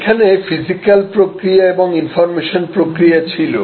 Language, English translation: Bengali, So, there were physical processes and their where information processes